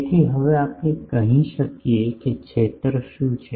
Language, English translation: Gujarati, So, now, we can say that what is the field